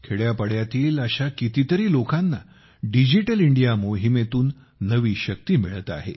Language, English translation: Marathi, How many such lives in villages are getting new strength from the Digital India campaign